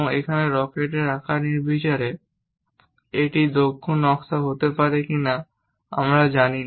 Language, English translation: Bengali, Here the rocket shape is arbitrary, whether this might be efficient design or not, we may not know